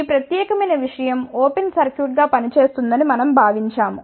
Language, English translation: Telugu, So, we have assume that this particular thing will act as an open circuit